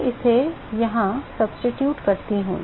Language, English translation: Hindi, I substitute that here